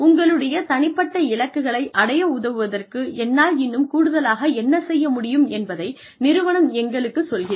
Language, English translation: Tamil, The organization asks us, what more can I do, to help you achieve your personal goals